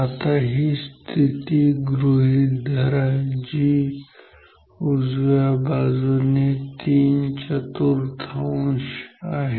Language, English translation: Marathi, Now, considered say this position say here which is like a three fourth from the right